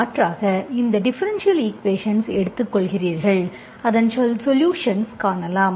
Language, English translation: Tamil, So alternatively you take this differential equation, you find its solution, okay, because we do not know